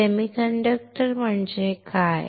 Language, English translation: Marathi, What is a semiconductor